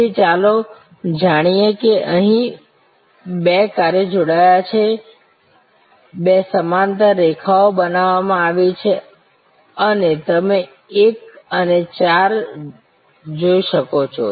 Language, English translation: Gujarati, So, let us see here two functions are combined, two parallel lines are created and as you can see 1 and 4